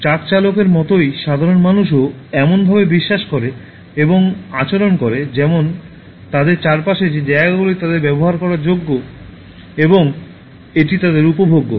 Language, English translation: Bengali, Just like the truck driver, normal human beings also believe and behave in such a manner as if whatever space around them is for them to utilize and it is meant for them to enjoy